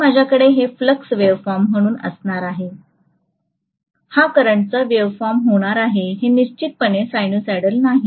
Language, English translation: Marathi, So I am going to have this as the flux waveform whereas this is going to be the current waveform, the current is definitely not sinusoidal